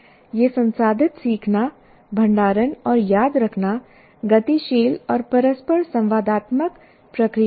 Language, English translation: Hindi, And these processors, learning, storing and remembering are dynamic and interactive processes